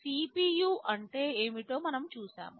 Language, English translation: Telugu, Well we have seen what is a CPU